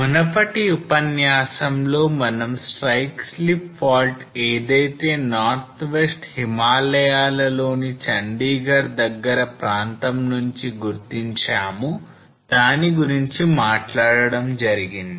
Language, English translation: Telugu, So in previous lecture we talked about the strike slip fault which we identified from close to Chandigarh area in Northwest Himalaya